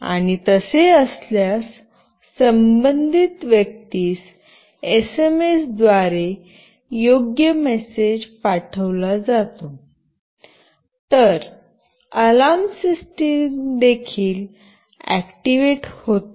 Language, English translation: Marathi, And if so, a suitable message is sent to the concerned person over SMS, an alarm system is also activated